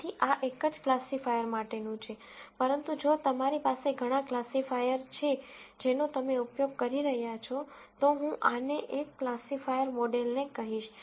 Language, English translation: Gujarati, So, this is a for a single classifier, but if you have several classifiers that you are using, then I would say this classifier model one